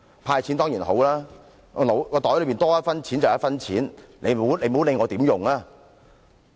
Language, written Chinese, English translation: Cantonese, "派錢"當然是一件好事，口袋裏能有多一分錢便是多一分錢，別管我會如何使用。, The handout of cash is certainly a good thing . An extra penny in my pocket is my extra penny . How I will use it is my own business